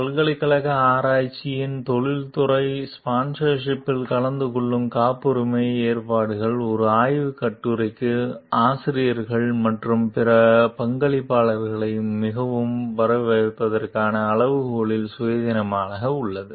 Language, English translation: Tamil, The patent arrangements that attend industrial sponsorship of university research are independent of criteria for fairly crediting authors and other contributors to a research article